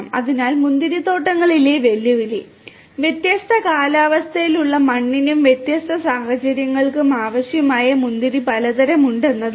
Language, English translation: Malayalam, So, the challenge in vineyards is that there are different varieties of grapes which will have requirements for different climatic soil and different you know conditions